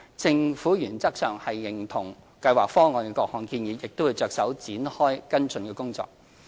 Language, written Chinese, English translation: Cantonese, 政府原則上認同《計劃方案》的各項建議，並會着手展開跟進工作。, The Government agrees to ESPPs various recommendations in principle and will proceed to conduct follow up work